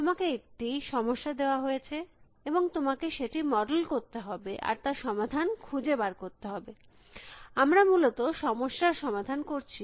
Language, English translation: Bengali, You are a given a problem and you have to model the problem and you have to find the solution, we have solving the problem essentially